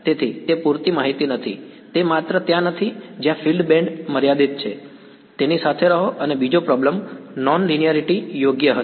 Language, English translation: Gujarati, So, that was not enough info, it is just not there the fields are band limited, live with it and the second problem was non linearity right